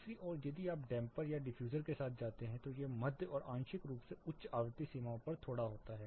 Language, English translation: Hindi, On the other hand if you go with dampers or diffusers it is on slightly on the mid and partly high frequency ranges